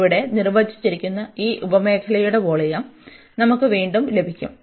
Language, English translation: Malayalam, So, we will get again this volume of this sub region, which is define here